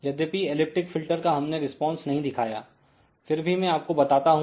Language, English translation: Hindi, So, elliptic filter even though I have not shown the response, but let me explain you